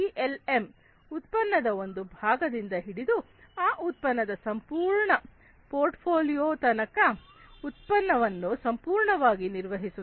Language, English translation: Kannada, PLM handles a product completely from single part of the product to the entire portfolio of that product